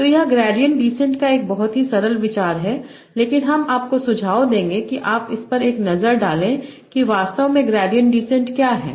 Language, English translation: Hindi, So this is a very simple idea of gradient descent, but I will suggest that you have a look at it, that what is actually gradient descent